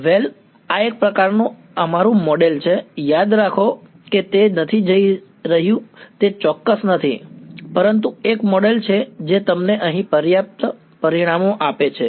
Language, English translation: Gujarati, Well this is the sort of a this is our model remember it is not going to it is not exact, but it is a model that gives you close enough results over here